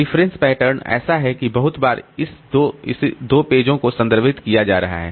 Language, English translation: Hindi, The reference pattern is such that very frequently these three pages are being referred to